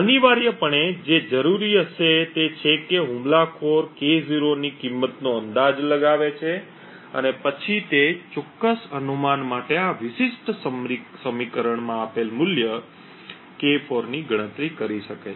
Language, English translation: Gujarati, Essentially what would be required is that the attacker guesses a value of K0 and then for that particular guess he can then compute the value K4 given this particular equation, so this is essentially the idea of this attack